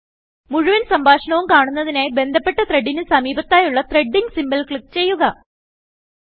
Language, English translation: Malayalam, To view the full conversation click on the Threading symbol present next to the corresponding thread